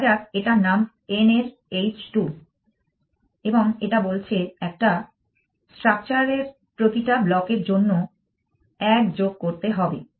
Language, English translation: Bengali, So, let us call it h two of n and this says add one for every block in a structure